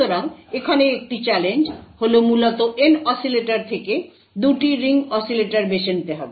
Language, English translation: Bengali, So a challenge over here would essentially pick choose 2 ring oscillators out of the N oscillators